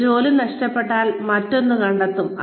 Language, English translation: Malayalam, If you miss out on one job, you will find another one